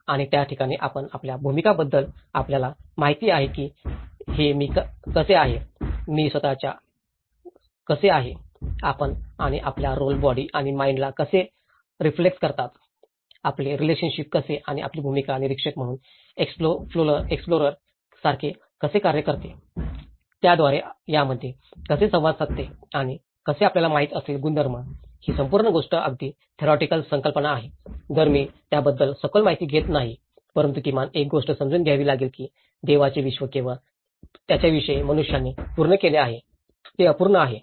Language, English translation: Marathi, And that is where your roles you know, how this I, myself and me and how your roles reflex the body and mind, how your relationships and how as your role plays like an explorer as an observer, how it keeps interchanging with it and how the attributes you know so, this whole thing is a very theoretical concepts, though I am not going in depth of it but at least one has to understand that the Godís universe is complete only with man without him, it is incomplete